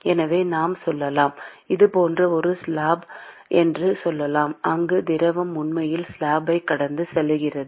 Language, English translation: Tamil, So, let us say let us say it could be a slab like this where the fluid is actually flowing past the slab